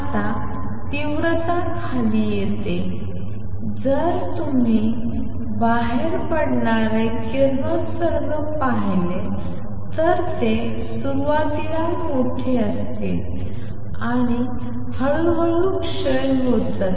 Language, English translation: Marathi, Now the intensity comes down if you look at the radiation coming out it would be large amplitude in the beginning and slowly decays